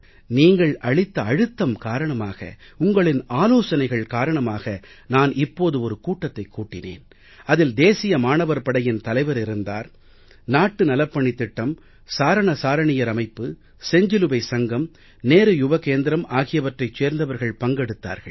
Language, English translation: Tamil, It was under pressure from you people, following your suggestions, that I recently called for a meeting with the chiefs of NCC, NSS, Bharat Scouts and Guides, Red Cross and the Nehru Yuva Kendra